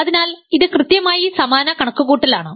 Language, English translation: Malayalam, So, this is exactly the same calculation